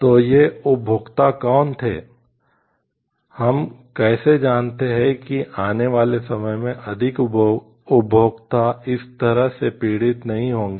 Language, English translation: Hindi, So, the who were these consumers how do we know like more consumers in times to come will not be suffering this